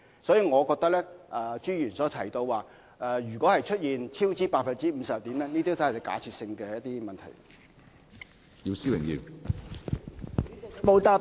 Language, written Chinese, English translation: Cantonese, 因此，我覺得朱議員問及出現超支 50% 會怎樣，都是假設性的問題。, Hence I feel that Mr CHUs question about what will happen if there is a cost overrun by 50 % is a hypothetical question